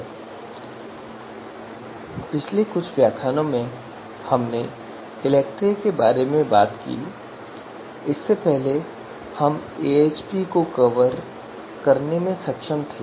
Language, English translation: Hindi, So in previous few lectures we have talked about ELECTRE before that we have been able to cover AHP